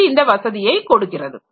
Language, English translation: Tamil, So, this is providing the facility